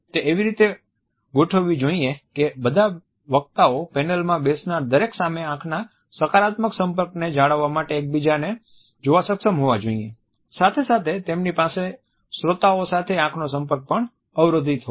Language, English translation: Gujarati, It should be designed in such a way that all these speakers are able to look at each other maintain a positive eye contact with every other participant in the panel as well as they have an unobstructed eye contact with the audience also